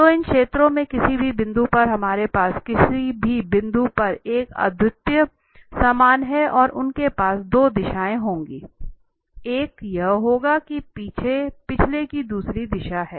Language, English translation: Hindi, So, at any point of these surfaces we have a unique normal at any point and they will have 2 directions, one will be that is the other of the direction of the previous one